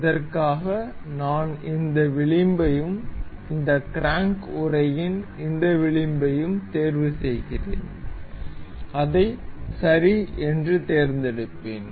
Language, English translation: Tamil, For this, I am selecting this edge and this edge of this crank casing, I will select it ok